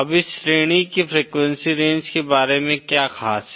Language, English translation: Hindi, Now what is so special about this range of frequencies